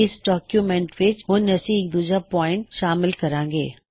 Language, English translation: Punjabi, In the document, let us insert a second point